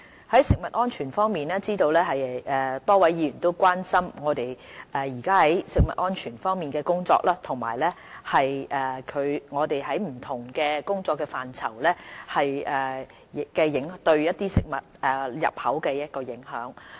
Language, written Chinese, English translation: Cantonese, 在食物安全方面，我知道多位議員都關心我們目前在食物安全的工作，以及在不同工作範疇對食物入口的影響。, Regarding food safety I am aware that many Members are concerned about our current work on food safety and the impact of our different scopes of work on food imports